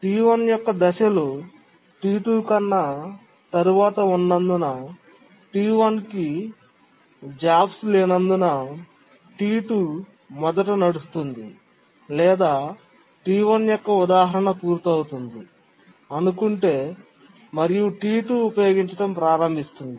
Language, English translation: Telugu, But then T2 starts running fast because there are no jobs for T1 because T1's phasing is later than T2 or maybe the T1's instant has just completed and T2 is starting to use